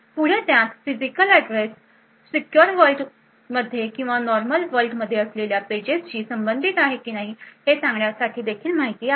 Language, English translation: Marathi, Further it also has information to say whether the physical address corresponds to a page which is secure or in the normal world